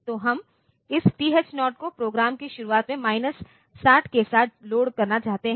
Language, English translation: Hindi, So, we want to reload we want to load this TH 0 with minus 60 at the beginning of the program